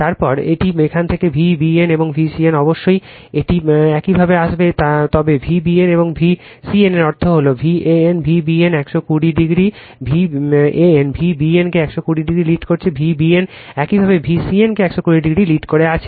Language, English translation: Bengali, Then it is V b n it starts from here, and V c n of course it will come like this, but V b n and V c n that means, V a n is leading V b n by 120, V b n your leading V c n by 120 degree